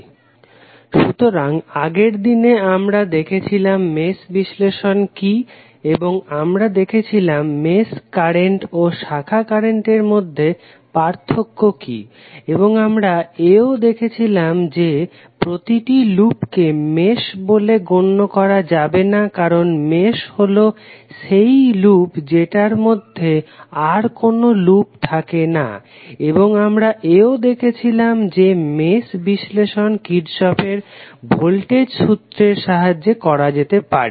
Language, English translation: Bengali, So, yesterday we saw the what is mesh analysis and we stabilized the difference between the mesh current and the branch current and we also saw that the every loop cannot be considered as mesh because mesh is that loop which does not contain any other loop within it and we also saw that the mesh analysis can be done with the help of Kirchhoff Voltage Law